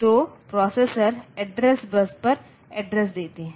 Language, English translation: Hindi, So, address bus does processor it will give the address on the address bus, the processor will give the address on the address bus